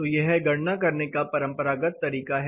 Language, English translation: Hindi, So, this is a traditional way of calculating